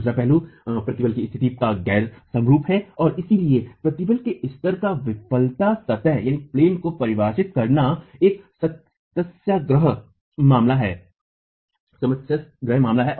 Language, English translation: Hindi, The other aspect is the state of stress is non homogeneous and therefore defining failure planes at the level of stress is a problematic affair